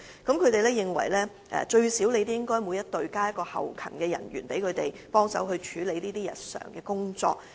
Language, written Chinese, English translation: Cantonese, 他們認為每隊最少應增加1名後勤人員，協助他們處理此類日常工作。, They consider it necessary to increase their manpower establishment by deploying at least one more back - up staff member to each team to assist in handling such daily duties